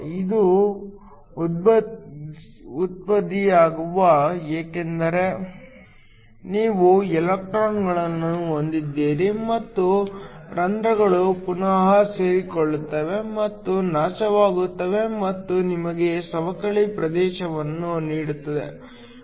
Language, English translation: Kannada, This arises because you have the electrons and the holes recombining and getting annihilated to give you a depletion region